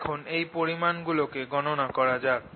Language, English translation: Bengali, let us calculate these quantities